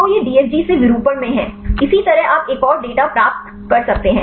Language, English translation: Hindi, So, this is from the DFG in conformation; likewise you can get the another data